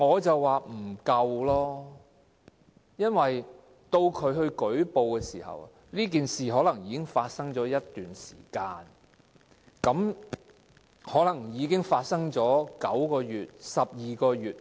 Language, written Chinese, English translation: Cantonese, 因為，到僱員作出舉報時，事件往往可能已經發生了一段時間，例如發生了9個月或12個月。, Nine or 12 months have passed by the time the employee makes the report at which point the Labour Department may say that the prosecution time limit has expired